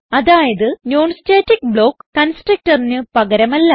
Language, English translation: Malayalam, So non static block is not a substitute for constructor